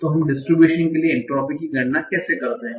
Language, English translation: Hindi, So for a distribution, how do we compute the entropy for a distribution